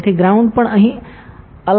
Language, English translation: Gujarati, So, ground is also assign here